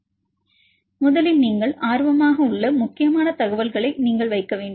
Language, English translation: Tamil, So, first you need to put in the important information what you are interested in